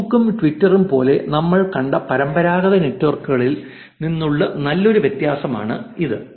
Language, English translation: Malayalam, That is a good difference from the traditional networks that we have seen like facebook and twitter